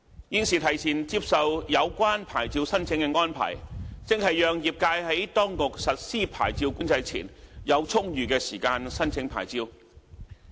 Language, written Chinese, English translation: Cantonese, 現時提前接受有關牌照申請的安排，正是讓業界在當局實施牌照管制前，有充裕的時間申請牌照。, The present arrangement for accepting applications for the relevant licence at an earlier date is made to allow adequate time for the trade to make applications for the licence